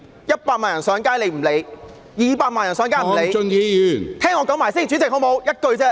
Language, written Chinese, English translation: Cantonese, 一百萬人上街，她不理；二百萬人上街，她也不理......, When 1 million people took to the streets she was indifferent; when 2 million people took to the streets she remained indifferent